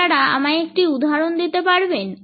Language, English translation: Bengali, Can you give me one example